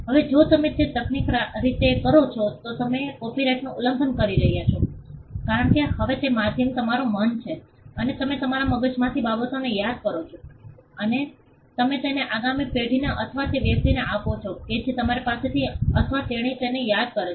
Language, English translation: Gujarati, Now if you do that technically are you violating a copyright because, now the medium is your mind you remember things in your mind and you pass it on to the next generation and the next generation or the person who from you he or she remembers in her mind memorizes it and passes it on